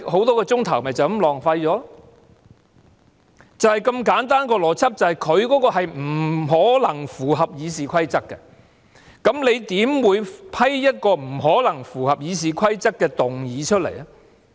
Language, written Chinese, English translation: Cantonese, 當中的邏輯是，局長的議案是不可能符合《議事規則》的，那麼主席你怎會批准一項不可能符合《議事規則》的議案呢？, The Secretarys motion simply cannot meet the requirement of the Rules of Procedure . How come President has allowed a motion that does not comply with the Rules of Procedure?